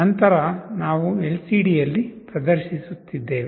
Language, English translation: Kannada, Then, we are displaying on LCD